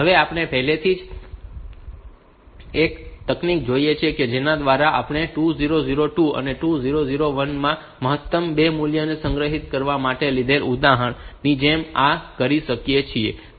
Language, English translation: Gujarati, Now we have already seen one technique by which we can do this like the example we have taken to get the maximum of the 2 values are stored a 2002 2001